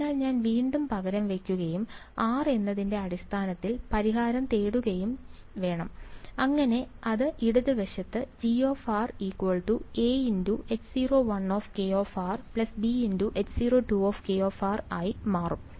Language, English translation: Malayalam, So, I should resubstitute and get the solution in terms of r, so that will become left hand side becomes G of G of